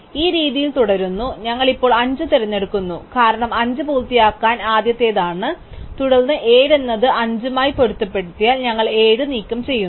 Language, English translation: Malayalam, So, continuing in this way we now pick 5, because 5 is earliest one to finish and then because 7 is in conflict with 5, we remove 7